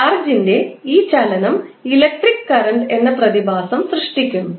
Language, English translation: Malayalam, This motion of charge creates the phenomena called electric current